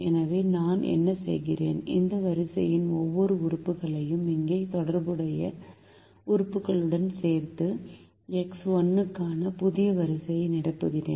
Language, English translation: Tamil, so what i do is i add every element of this row to the corresponding element here and fill the new row for x one